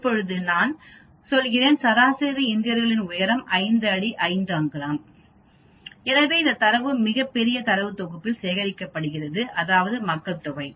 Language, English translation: Tamil, Now if I am saying that the average height of Indians is 5 feet 5 inches so this data is collected over a very very large data set called population